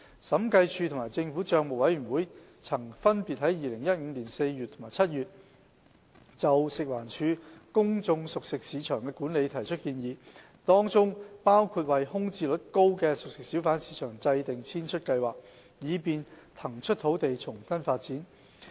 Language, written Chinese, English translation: Cantonese, 審計署及政府帳目委員會曾分別在2015年4月及7月就食環署公眾熟食市場的管理提出建議，當中包括為空置率高的熟食小販市場制訂遷出計劃，以便騰出土地重新發展。, The Audit Commission and the Public Accounts Committee made recommendations in April and July 2015 respectively regarding the management of FEHDs public cooked food markets including formulating exit plans for CFHBs with high vacancy rates for releasing land for redevelopment